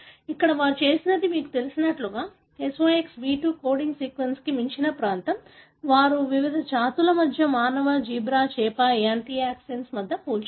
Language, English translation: Telugu, Here the, what they have done is a, you know, a region that is beyond the SOX B2 coding sequence they compared between different species, between human, zebra fish, amphioxis